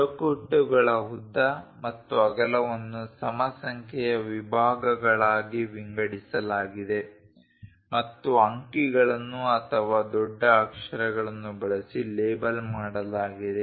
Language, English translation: Kannada, The length and width of the frames are divided into even number of divisions and labeled using numerals or capital letters